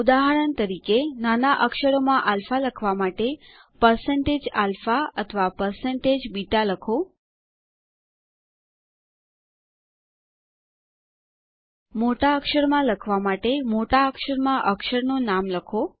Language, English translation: Gujarati, For example, to write alpha in lower case, type#160%alpha or#160%beta To write an uppercase character, type the name of the character in uppercase